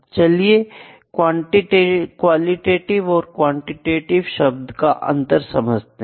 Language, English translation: Hindi, I will just differentiate it qualitative and quantitative, ok